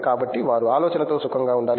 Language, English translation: Telugu, So so, they should become comfortable with the idea